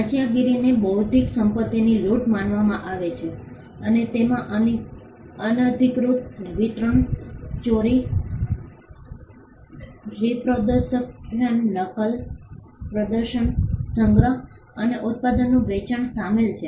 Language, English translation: Gujarati, Piracy was regarded as plundering of intellectual property and it included unauthorised distribution, theft, reproduction, copying, performance, storage and sale of the product